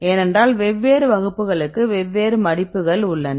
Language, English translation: Tamil, So, because for different classes or different folds